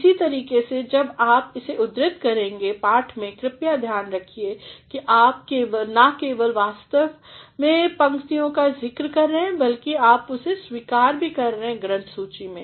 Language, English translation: Hindi, In the same way when you are quoting it in the text please see that you are not only mentioning the actual lines, but you are also going to acknowledge it in the Biblio section